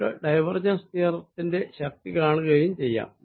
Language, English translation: Malayalam, you can also see the power of divergence theorem